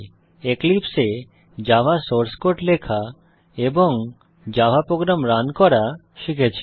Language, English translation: Bengali, How to Write a java source code and how to run a java program in Eclipse